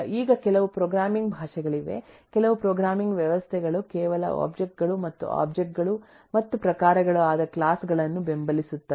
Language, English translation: Kannada, now there are some programming language, some programming systems, which just support objects and classes, that is, objects and types, but do not support inheritance